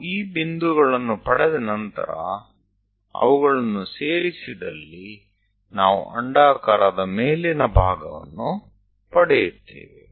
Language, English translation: Kannada, Once we have these points, we join them, so the top part of that ellipse we will get